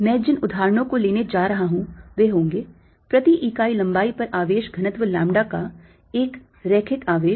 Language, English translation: Hindi, the examples i am going to take are going to be one: a linear charge of charge density, lambda per unit length